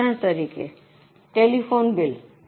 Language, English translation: Gujarati, Example is telephone bill